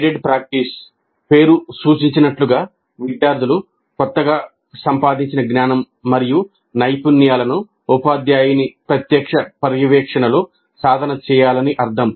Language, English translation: Telugu, The guided practice as the name implies essentially means that students practice the application of newly acquired knowledge and skills under the direct supervision of the teacher